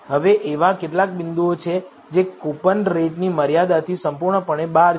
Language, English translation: Gujarati, Now there are some points which are completely outside the range of coupon rate